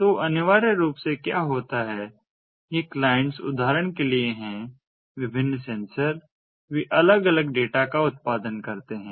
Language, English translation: Hindi, so essentially what happens is these clients, for example, different sensors, they produce different data, they produce different messages